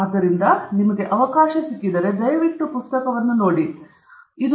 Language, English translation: Kannada, So, if you get a chance, please take a look at the book